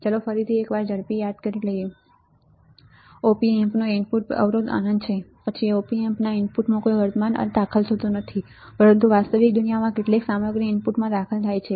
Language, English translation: Gujarati, Let us quickly once again see ideally we know that input impedance of op amp is infinite right, then there is no current end entering in the input of the op amp, but in the real world some content does enter the inputs